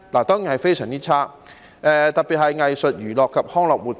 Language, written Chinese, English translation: Cantonese, 當然是非常差，特別是藝術、娛樂及康樂活動業。, The situation is no doubt very bad especially in the arts entertainment and recreation sector